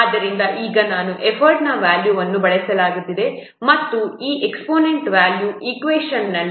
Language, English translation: Kannada, So now I have to use the value of effort and the value of this exponent is 0